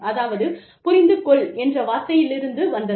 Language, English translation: Tamil, Which comes from the word, comprehend